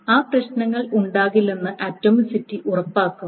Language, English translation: Malayalam, So the atomicity ensures that those problems do not happen